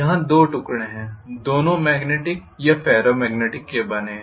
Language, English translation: Hindi, There are two pieces, both of them are made up of say magnetic or Ferro magnetic material